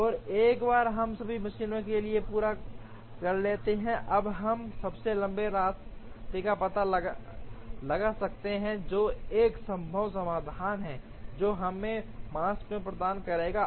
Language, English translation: Hindi, And once, we complete for all the machines, we can now find out the longest path, which will be a feasible solution, which will give us the Makespan